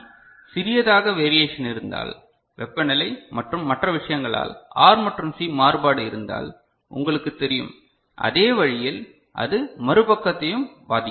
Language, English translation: Tamil, So, this RC at one side, if there is small you know variation of R and C because of temperature and another things, the same way it will affect the other side also